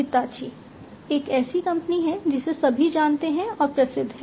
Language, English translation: Hindi, Hitachi is a company that is well understood and well known